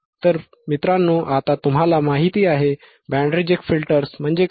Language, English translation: Marathi, So, guys now you know, what are the band reject filters